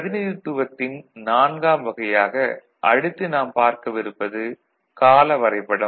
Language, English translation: Tamil, The 4th representation that we see is through timing diagram